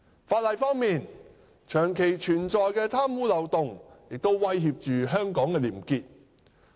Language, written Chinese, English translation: Cantonese, 法例方面，長期存在的貪污漏洞亦威脅着香港的廉潔。, In respect of the law the long - standing loopholes for corrupt spoils have also posed threats to probity in Hong Kong